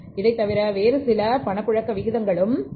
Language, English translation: Tamil, Apart from that there are certain other liquidity ratios also